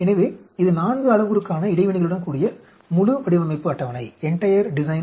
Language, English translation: Tamil, So this is the entire design table with the interactions for a 4 parameter